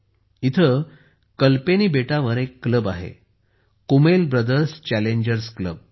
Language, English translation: Marathi, There is a club on Kalpeni Island Kummel Brothers Challengers Club